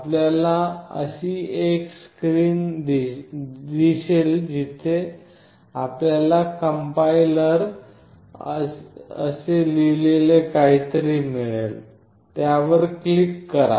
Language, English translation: Marathi, You will have a screen like this where you will find something which is written called compiler; click on that complier